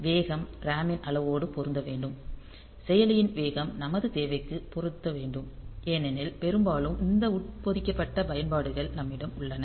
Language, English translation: Tamil, So, speed should match the amount of RAM the speed of the processor should match my requirement they because most of the time these embedded applications that we have